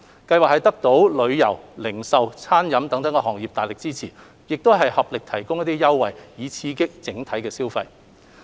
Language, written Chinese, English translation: Cantonese, 計劃得到旅遊、零售及餐飲業界大力支持，合力提供優惠，以刺激整體消費。, With the staunch support of the local tourism retail and catering industries etc the campaign provides different offers to boost overall local consumption